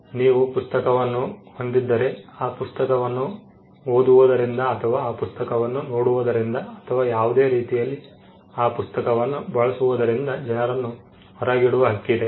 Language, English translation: Kannada, If you own a book, you have the right to exclude people from reading that book or from looking into that book, or from using that book in any way